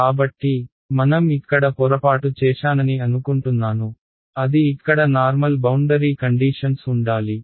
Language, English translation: Telugu, So, I think I made a mistake over here it should be plus right normal boundary conditions over here